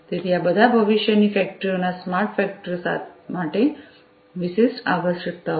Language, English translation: Gujarati, So, all of these are requirements specific to the smart factories of the factories of the future